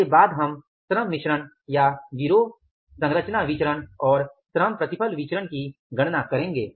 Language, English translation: Hindi, After this we will calculate the labor mix or the gang composition variance and the labor yield variances